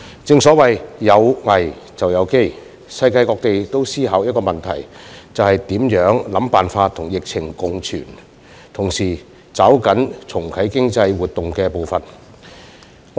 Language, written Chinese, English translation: Cantonese, 正所謂"有危便有機"，世界各地都在思考一個問題，就是想辦法跟疫情共存而同時抓緊重啟經濟活動的步伐。, As the saying goes In every crisis there lies opportunities . People around the world are thinking about the same thing ie . how to co - exist with the epidemic while grasping the pace of restarting economic activities at the same time